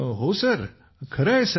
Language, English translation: Marathi, Yes sir, it is right sir